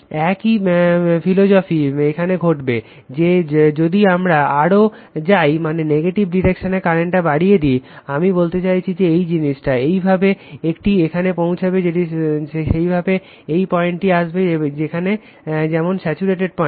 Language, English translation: Bengali, Same philosophy will happen, if you further go on your what you call that your increase the current in the negative direction I mean this thing, the way it has reached here same way it will the right, and it will get as get a point there like your saturated point you will get there